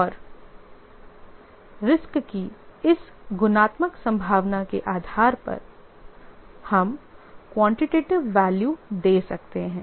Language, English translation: Hindi, And based on this qualitative probability of a risk, we can give quantitative values